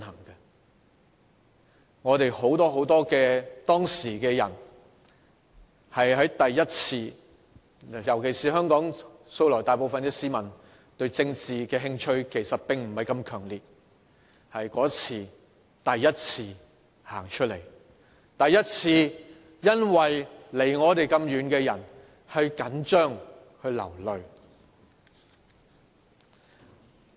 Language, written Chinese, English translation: Cantonese, 當時很多人都是第一次上街，尤其是香港大部分市民素來對政治興趣並不太強烈，但那次是第一次走出來，第一次為那些離我們那麼遠的人緊張、流淚。, At that time many people took to the streets for the first time especially as most people of Hong Kong usually did not have too strong an interest in politics . But that was the first time they came forth and that was the first time we felt agitated and shed tears for people who were so remote from us